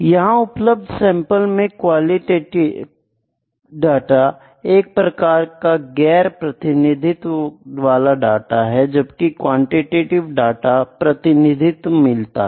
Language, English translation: Hindi, The sample here in the qualitative data is a non representative, in the quantitative data the sample is representative